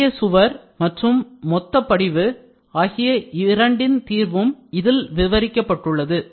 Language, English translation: Tamil, Solution of both thin wall and bulk deposition has been described